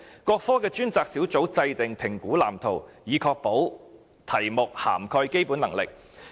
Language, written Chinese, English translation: Cantonese, 各科的專責小組制訂評估藍圖，以確保題目涵蓋基本能力。, Each group drew up test blueprints covering all assessable Basic Competencies